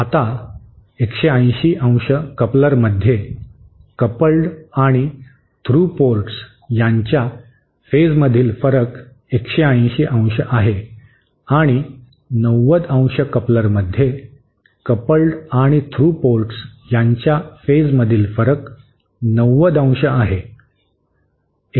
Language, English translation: Marathi, Now, in a 180¡ coupler, the phase difference between the coupled and through ports is 180¡ and in 90¡, the coupled and through ports have a 90¡ phase shift, that is the difference between them